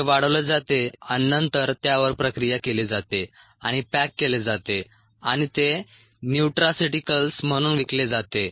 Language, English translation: Marathi, it is grown and then processed and packaged and that is sold as nutraceuticals